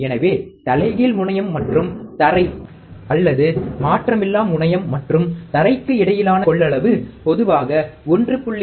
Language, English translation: Tamil, So, the capacitance between the inverting terminal and the ground or non inverting terminal and ground, typically has a value equal to 1